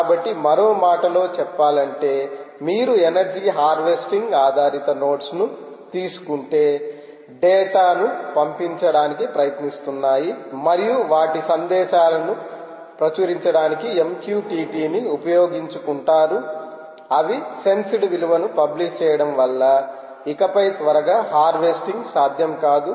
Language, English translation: Telugu, ok, so, in other words, if you take energy harvesting based systems right, energy harvesting based nodes which are trying to sends data and use m q t t for public, for publishing their messages, publishing their sensed value, is possible that they are not harvesting anymore